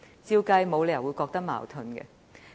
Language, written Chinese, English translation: Cantonese, 我們沒理由會覺得有矛盾。, There should be no cause for any dilemma